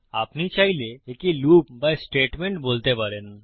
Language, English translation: Bengali, You can choose to call it a loop or a statement